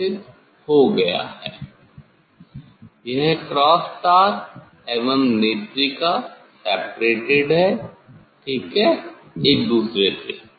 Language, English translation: Hindi, this cross wire and this eye piece they are they are separated ok, then that one